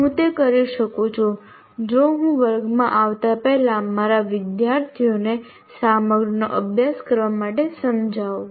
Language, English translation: Gujarati, I can do that provided the student, I can persuade my students to study the material before coming to the class